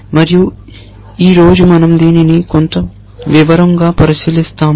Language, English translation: Telugu, And we will look at this in some detail today